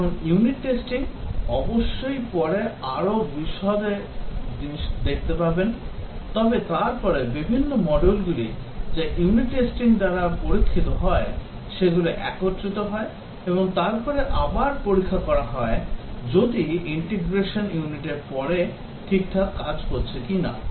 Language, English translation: Bengali, Now unit testing, of course will see later more detail, but then the different modules which are unit tested they are integrated together and then again tested if whether after the integration unit is continuing to work fine